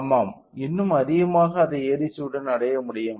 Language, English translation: Tamil, Yes, it can also be achieved with even higher with ADC